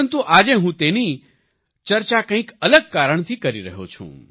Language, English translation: Gujarati, But today I am discussing him for some other reason